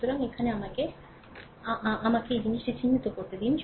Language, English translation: Bengali, So, here let me again me, let me this thing I let me mark it